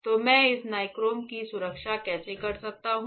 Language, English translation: Hindi, So, how can I protect this nichrome